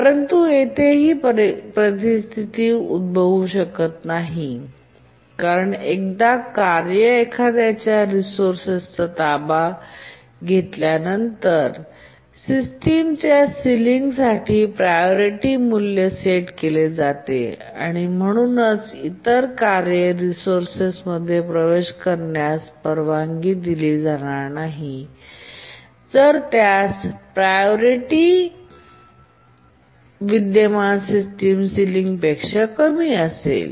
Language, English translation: Marathi, But here that situation cannot occur because once a task acquires resource, the priority value is set to the current system ceiling and therefore the other task will not be allowed to access the resource if its priority is less than the current system ceiling